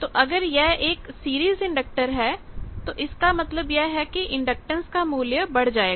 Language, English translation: Hindi, So, if it is a series inductor; that means, the inductance value will be more